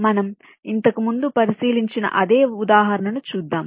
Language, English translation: Telugu, ok, lets look at the same example